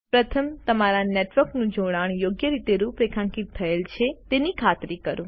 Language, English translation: Gujarati, First, make sure that your network connection is configured correctly